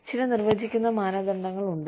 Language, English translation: Malayalam, So, you know, there are certain defining criteria